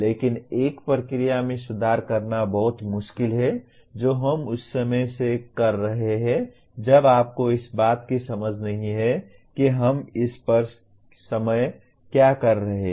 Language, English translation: Hindi, But it is very hard to improve a process that we are engaged in if you do not have a sense of what we are doing in the moment